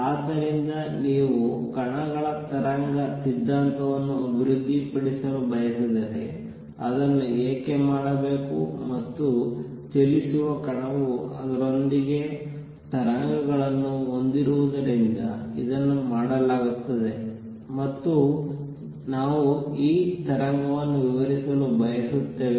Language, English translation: Kannada, So, if you want to develop wave theory of particles why should it be done, and it is done because a moving particle has waves associated with it, and we want to describe this wave